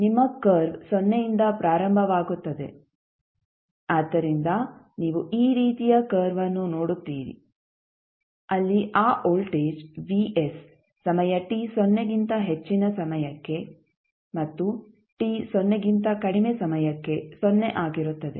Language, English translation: Kannada, Your curve will start from 0 so you will see the curve like this where it will settle down again at voltage vs for time t greater than 0 and for time t less than 0 it will be 0